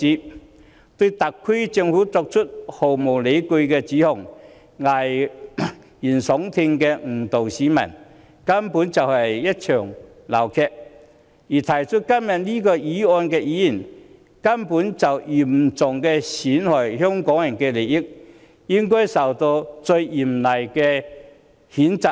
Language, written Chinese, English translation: Cantonese, 他們意圖對特區政府作出毫無理據的指控，危言聳聽地誤導市民，根本就是鬧劇一場，而動議這項議案的議員，根本嚴重損害香港人的利益，應該受到最嚴厲的譴責。, Opposition Members intend to make unfounded allegations against the SAR Government and mislead the public by making inflammatory statement . It is simply a farce . The Member who moves this motion has seriously jeopardized the interests of Hong Kong people and should be most severely reprimanded